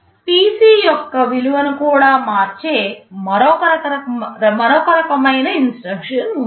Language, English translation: Telugu, There is another kind of an instruction that also changes the value of PC